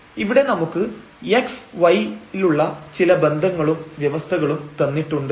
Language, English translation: Malayalam, So, we have some relations some conditions on x y is given